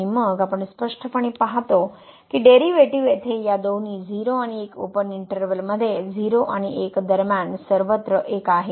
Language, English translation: Marathi, And, then we clearly see the derivative is 1 everywhere here between these two 0 and 1 open interval 0 and 1